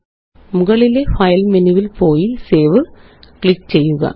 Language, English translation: Malayalam, Go to File menu at the top, click on Save